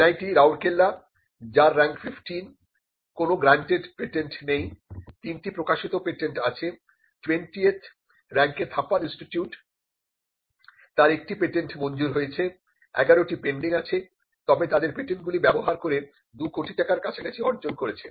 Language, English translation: Bengali, NIT Rourkela, which was Rank 15, does not have any granted patents, but it has got 3 patents published and Rank 20th which is Thapar institute has 1 patent granted, 11 pending and it has generated some amount using their patents in close to in excess of 2 crores